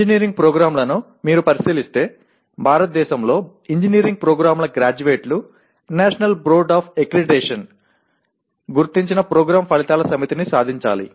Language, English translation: Telugu, Engineering programs if you look at, the graduates of engineering programs in India are required to attain a set of Program Outcomes identified by National Board of Accreditation